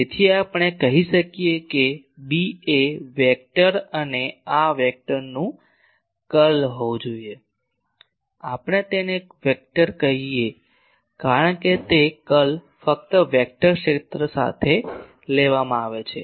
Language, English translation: Gujarati, So, we can say that B should be curl of a vector and these vector, we call this is a vector because curl can be taken only with a vector field